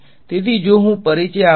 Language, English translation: Gujarati, So, if I introduce